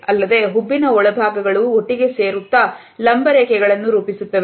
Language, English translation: Kannada, Also, the inner parts of the eyebrow will push together, forming those vertical lines again